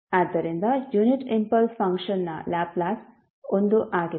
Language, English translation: Kannada, So, the Laplace of the unit impulse function is 1